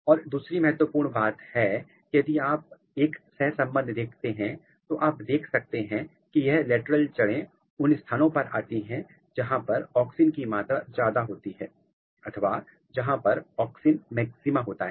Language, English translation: Hindi, And, another important thing if you make a correlation you see that this lateral roots are coming from this region wherever there is high level of auxin or wherever there is auxin maxima